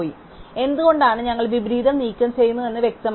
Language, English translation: Malayalam, So, it is obvious that why we remove the inversion